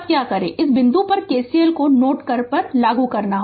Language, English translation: Hindi, Now what you do is you apply KCL at node at this point